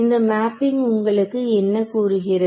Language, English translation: Tamil, So, what is this mapping tell you